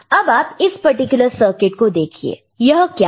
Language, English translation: Hindi, Now, look at this particular circuit what is, what is it